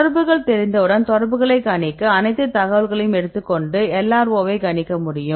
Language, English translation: Tamil, So, take all the information to predict the contacts once the contacts are known can we predict the LRO